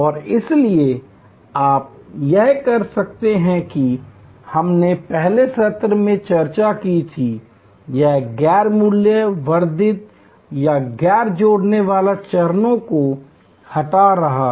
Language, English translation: Hindi, And therefore, you can do this that we had discussed in an earlier session; that is removing the non value added or non value adding steps